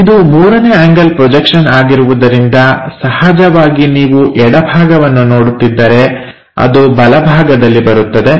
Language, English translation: Kannada, Because this 1st angle projection as usual left side if you are looking it comes on to the right side